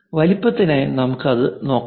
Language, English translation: Malayalam, For size let us look at it